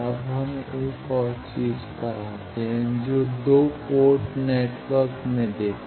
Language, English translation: Hindi, Now, we come to another thing that let us see in a 2 port network